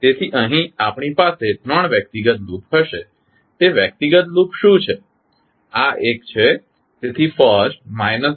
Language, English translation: Gujarati, So, here we will have three individual loop, what are those individual loops